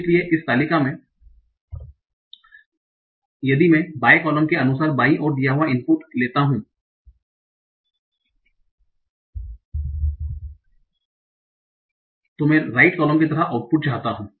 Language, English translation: Hindi, So in this table, so if I am given an input in the left, as for the left column, I want a output like the right column